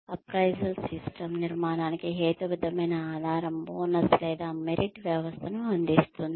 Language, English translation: Telugu, The appraisal system provides, a rational basis for constructing, a bonus or merit system